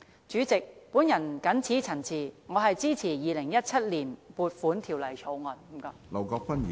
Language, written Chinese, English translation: Cantonese, 主席，我謹此陳辭，支持《2017年撥款條例草案》，多謝。, With these remarks President I support the Appropriation Bill 2017 . Thank you